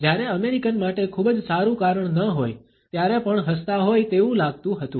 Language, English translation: Gujarati, Americans seemed to smile even when there is not a very good reason to